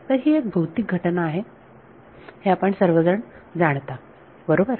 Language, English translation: Marathi, So, this everyone knows is a physical phenomena right